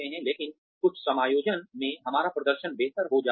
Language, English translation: Hindi, But, in certain settings, our performance tends to get better